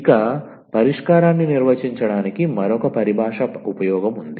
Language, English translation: Telugu, There is another terminology use for defining the solution